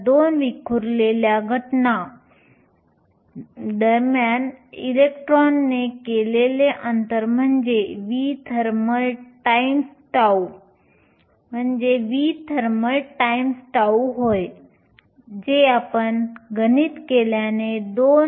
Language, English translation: Marathi, So, the distance travelled by the electron between two scattering events is nothing but v thermal times tau, which if you do the math is around 2